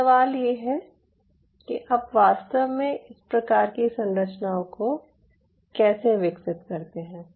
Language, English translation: Hindi, another question is how you really develop these kind of structures